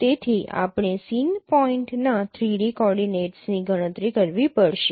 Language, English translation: Gujarati, So you have to compute the 3D coordinates of the scene point